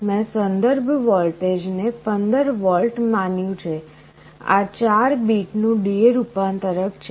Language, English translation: Gujarati, I have assumed the reference voltage to be 15 volts; this is a 4 bit D/A converter